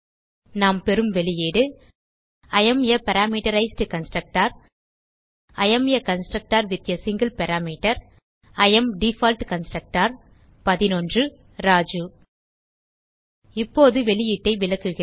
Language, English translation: Tamil, We get the output as I am a Parameterized Constructor I am a constructor with a single parameter I am Default Constructor 11 and Raju Now, I will explain the output